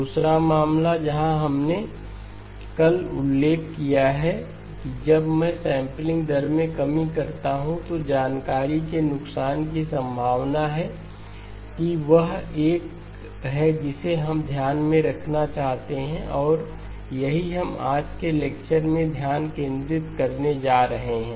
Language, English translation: Hindi, The second case where we mentioned yesterday that when I do sampling rate reduction, there is a possibility of loss of information that is the one that we want to keep in mind and that is what we are going to focus on in today's lecture